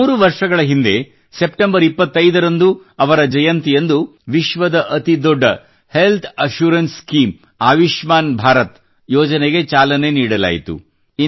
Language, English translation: Kannada, Three years ago, on his birth anniversary, the 25th of September, the world's largest health assurance scheme Ayushman Bharat scheme was implemented